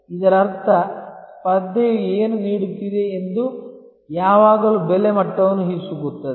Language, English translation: Kannada, That means, what the competition is offering that is always squeezing the price level